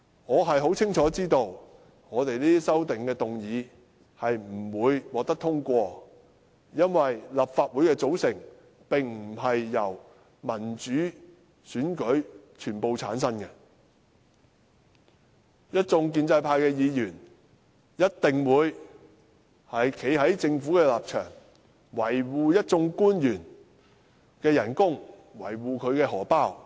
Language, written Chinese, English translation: Cantonese, 我亦清楚知道，我們這些修正案不會獲得通過，因為立法會的組成並非全由民主選舉產生，一眾建制派議員一定會站在政府的一方，維護一眾官員的薪酬，維護他們的錢包。, I know very well that these amendments proposed by us will not be passed because the Legislative Council is not fully returned by democratic elections . The pro - establishment Members will definitely stand on the side of the Government to protect the remuneration and the wallets of the officials